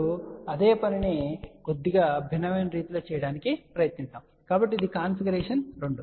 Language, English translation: Telugu, Now let us try to do the same thing in a slightly different way so this is a configuration two